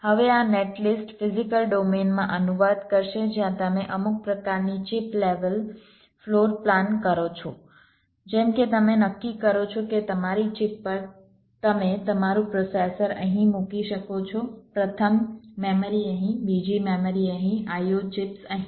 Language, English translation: Gujarati, now this net list would translate in to physical domain where you do some kind of a chip level floor plant, like you decide that on your chip you can place your processor here, first memory here, second memory here, the i o, chips here